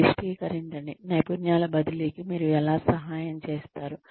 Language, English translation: Telugu, Maximize, how do you help the skills transfer